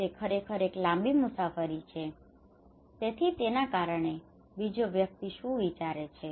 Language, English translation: Gujarati, It is really a long journey, so the second person what he would think